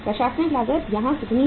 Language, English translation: Hindi, Administrative cost is how much here